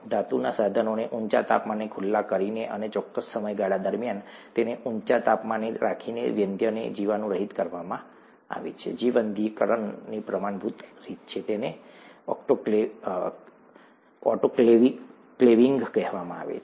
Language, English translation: Gujarati, Instruments are sterilized by exposing the metallic instruments to high temperature and keeping it at high temperature over a certain period of time, the standard way of sterilization; autoclaving as it is called